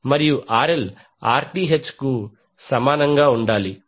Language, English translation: Telugu, And RL should be equal to Rth